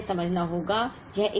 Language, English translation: Hindi, Now, we have to first understand